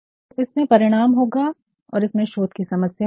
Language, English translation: Hindi, So, it will have findings and it will also have research problems